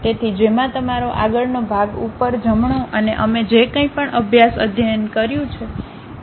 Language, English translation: Gujarati, So, which contains your front, top, right and whatever the case study we have done